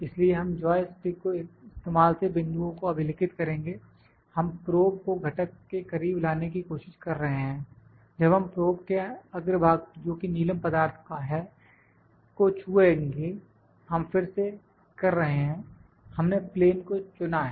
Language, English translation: Hindi, So, will record the points using joystick, we are trying to move the probe close to the component, when we will touch the tip of the probe that is the sapphire material we are doing it again, we have selected the plane; plane from here selected